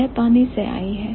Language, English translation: Hindi, So, it has come from water